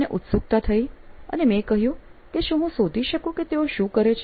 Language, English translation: Gujarati, So, I got curious and I said, : can I find out what is it that he is doing